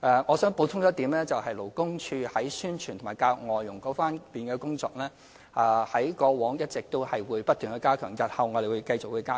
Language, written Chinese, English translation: Cantonese, 我想補充一點，勞工處在宣傳和教育外傭這方面的工作，過往一直不斷加強，日後亦會繼續加強。, I wish to add that LD has all along been stepping up publicity and education among foreign domestic helpers and will continue to do so in future